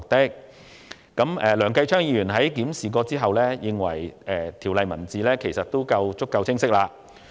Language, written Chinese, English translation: Cantonese, 經檢視後，梁繼昌議員認為《條例草案》的字眼已夠清晰。, Upon review Mr Kenneth LEUNG considers that the wording of the Bill is clear enough